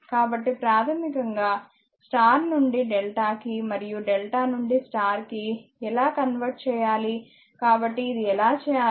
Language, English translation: Telugu, So, how to because basically you have to either star to delta and delta to star conversion; so, how we do this